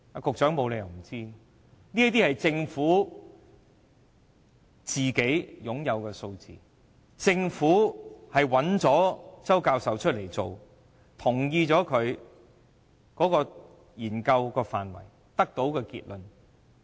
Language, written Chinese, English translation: Cantonese, 局長沒有理由不知道這些數字，政府請周教授進行這項研究，並同意其研究範圍和研究結論。, The Secretary must have knowledge of these figures since the Government not only commissioned Prof CHOW to conduct this study but also agreed with its scope and conclusion